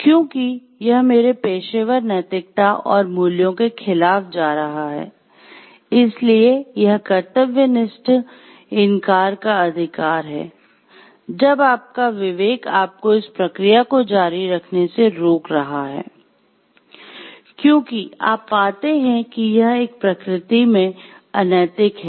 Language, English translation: Hindi, So, because it is going against my professional ethics and values, so this is the right of conscientious refusal when your conscience is stopping you from continue with the process, because you find it is unethical in nature